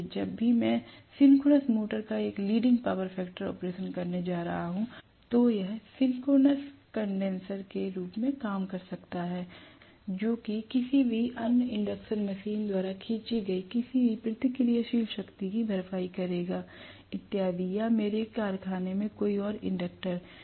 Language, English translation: Hindi, So, whenever I am going to have a leading power factor operation of the synchronous motor it may work as a synchronous condenser, which will compensate for any reactive power drawn by any of the other induction machines and so on, or any other inductor in my factory